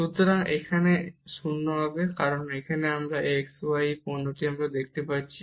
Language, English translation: Bengali, So, this will be 0, because here we can see this product of x y